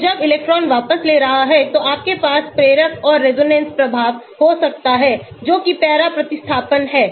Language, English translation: Hindi, So, when the electron is withdrawing you can have inductive and resonance effect that is para substitution